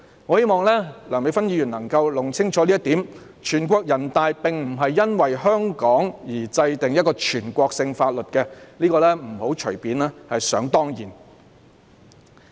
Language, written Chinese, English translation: Cantonese, 我希望梁美芬議員能夠弄清這一點，全國人大常委會並非因為香港而制定一項全國性法律，不要隨便想當然。, NPCSC did not enact a national law because of Hong Kong . Please do not make any assumption lightly as a matter of course . Besides Chairman I have noted Mr CHAN Chi - chuens proposed amendments to the Bill